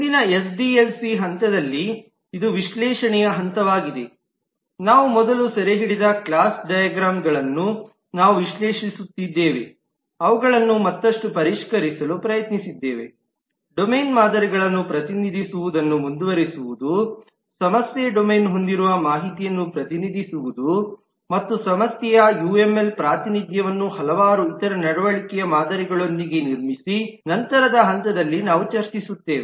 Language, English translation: Kannada, In the next SDLC phase, which is the analysis phase, we analyze the class diagrams that we have captured earlier, tried to refine them further, continuing to represent the domain models, represent the information that the problem domain has and build up the UML representation of the problem, along with several other behavioral models which we will discuss in subsequent stages Further in the SDLC